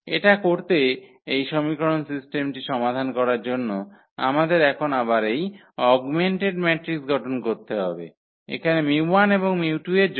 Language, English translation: Bengali, So, to do so, we have to now again form this augmented matrix to solve this system of equations here for mu 1 and mu 2